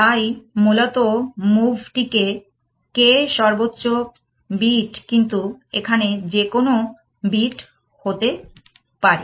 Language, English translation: Bengali, So, essentially move says that k in the highest bit where I could be any bit essentially